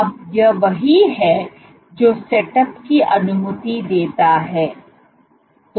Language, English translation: Hindi, Now what is setup allows